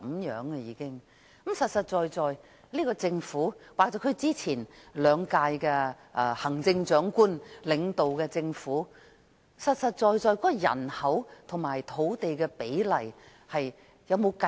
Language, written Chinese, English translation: Cantonese, 現屆政府或前兩任行政長官領導的政府，有否清楚計算出人口和土地比例？, Have the current Administration and the administrations under the previous two Chief Executives clearly worked out the population - to - land ratio?